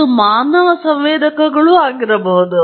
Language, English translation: Kannada, It could be also human sensors